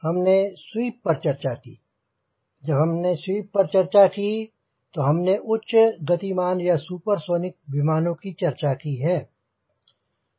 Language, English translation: Hindi, when we talk about sweep, we are talking about high speed or a supersonic airplane